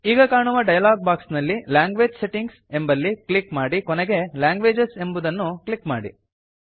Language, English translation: Kannada, In the dialog box which appears, click on the Language Settings option and finally click on Languages